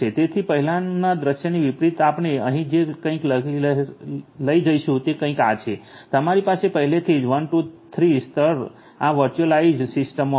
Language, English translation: Gujarati, So, unlike in the previous scenario what we are going to have over here is something like this you are going to have levels 1 2 3 from before in this virtualized system